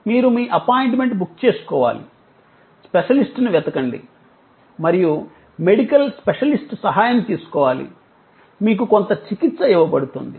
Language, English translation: Telugu, Like you have to book your appointment, search out a specialist and seek the help of a medical specialist, some treatment is given